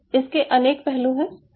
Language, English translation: Hindi, so there are several parts